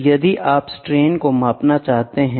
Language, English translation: Hindi, So, if you want to measure the strains